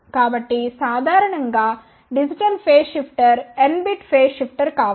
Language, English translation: Telugu, So, typically a digital phase shifter may be a n bit phase shifter